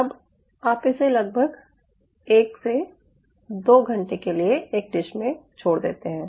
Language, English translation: Hindi, now you leave this in a dish for approximately one to two, two hours